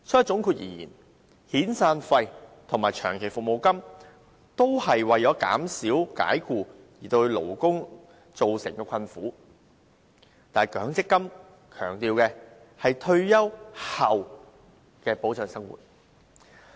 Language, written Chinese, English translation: Cantonese, 總括而言，遣散費及長期服務金是為減輕解僱對僱員造成的困苦，但強積金是保障僱員退休後的生活。, In sum severance payments and long service payments are intended to ease the hardship of employees as a result of dismissal whereas MPF is designed to protect the living of employees gone into retirement